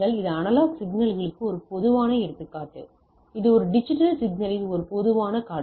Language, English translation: Tamil, So, this is a typical example of a analog signals and this is a typical scenario of a digital signal